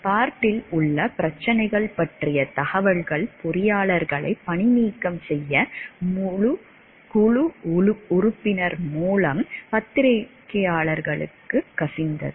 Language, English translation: Tamil, The information on the problems at Bart was leaked to the press by the board member leading to the firing of the engineers